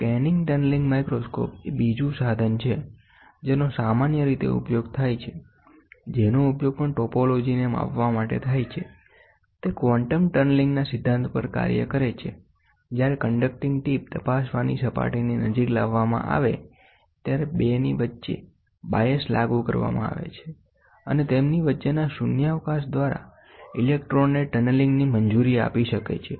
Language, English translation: Gujarati, The scanning tunneling microscope is another instrument commonly used; which is also used for measuring topology, it works on the concept of quantum tunneling; when a conducting tip is brought very near to the surface to be examined a bias is applied between the 2, and can allow the electrons to tunnel through the vacuum between them